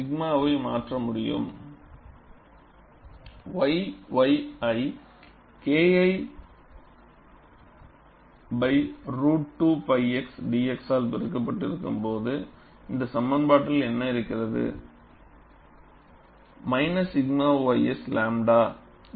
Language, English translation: Tamil, And I can replace sigma yy in terms of K 1 by root of 2 pi x, multiplied by dx, what is there in this expression, minus sigma ys lambda